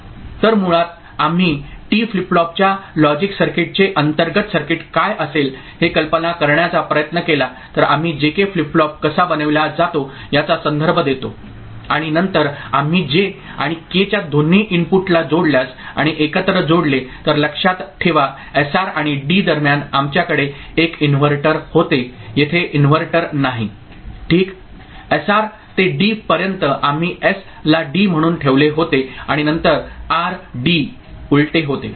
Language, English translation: Marathi, So, basically if we try to visualize what would be the internal circuit of logic circuit of T flip flop, then we refer to how J K flip flop is made and then if we connect if we connect both the inputs of J and K and tie together remember between SR and D we had a inverter here there is no inverter ok, from SR to D we had put S as D and then R was D inverted ok